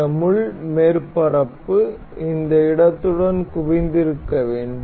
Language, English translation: Tamil, And this pin surface has to be concentric concentric with this space